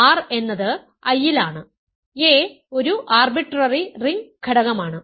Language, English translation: Malayalam, r is an I, a is an arbitrary ring element